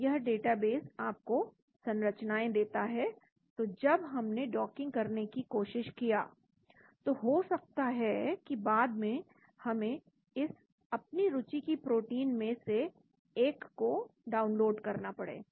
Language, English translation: Hindi, So this database gives you structures, so when we tried to perform docking later on we may have to download this one of the protein of interest